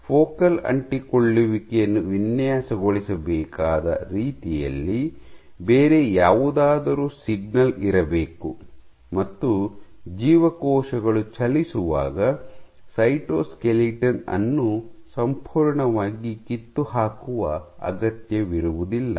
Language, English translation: Kannada, So, there must be some other signal the way that focal adhesions must be designed must be such that so the design; must be such that cytoskeletal does not need to be fully dismantled as cells move ok